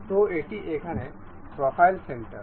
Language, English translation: Bengali, So, this here is profile center